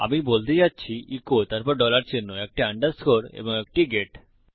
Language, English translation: Bengali, Im going to say echo , then a dollar sign, an underscore and a get